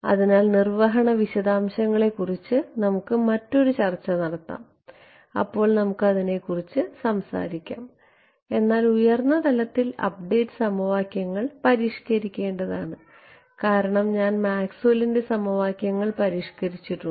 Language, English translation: Malayalam, So, we will have a another set of discussion on implementation details there we will talk about it, but at a high level what will happen is the update equations have to be modified because I have modified Maxwell’s equations